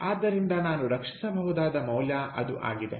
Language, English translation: Kannada, so thats the value i can salvage